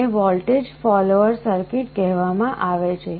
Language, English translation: Gujarati, This is called a voltage follower circuit